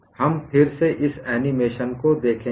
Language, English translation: Hindi, We will again look at this animation